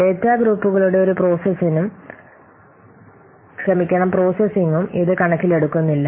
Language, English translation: Malayalam, It doesn't take into account any processing of the data groups